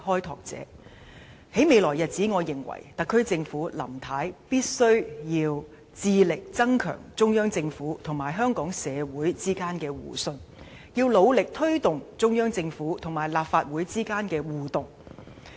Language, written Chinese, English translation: Cantonese, 我認為，在未來日子，特區政府和林太必須致力增強中央政府與香港社會之間的互信，要努力推動中央政府與立法會之間的互動。, In my opinion in the coming days the SAR Government and Mrs LAM must make efforts to enhance mutual trust between the Central Government and Hong Kong society as well as promote the interaction between the Central Government and the Legislative Council